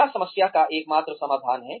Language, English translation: Hindi, Is it the only solution, to the problem